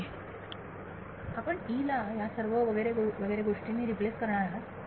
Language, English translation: Marathi, You are going to replace E with all these etcetera